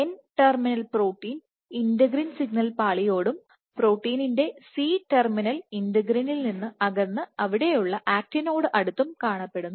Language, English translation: Malayalam, With the N terminal protein closer to the integrin signal layer, and the C terminal of the protein being away from it , it is closer to the actin there